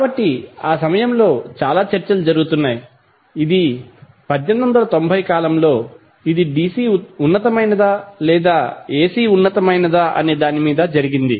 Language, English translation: Telugu, So, at that time, a lot of debates were going on that was around 1890 period that which is superior whether DC is superior or AC is superior